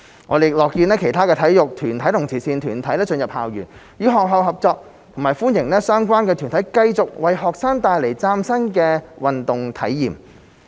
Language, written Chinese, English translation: Cantonese, 我們亦樂見其他體育團體及慈善團體進入校園，與學校合作，並歡迎相關團體繼續為學生帶來嶄新的運動體驗。, Furthermore we are pleased to see other sports organizations and charitable organizations cooperating with schools and we also welcome related organizations continuing to bring students new sports experiences